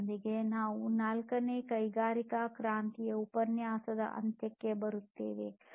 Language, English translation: Kannada, With this we come to an end of the fourth industrial revolution lecture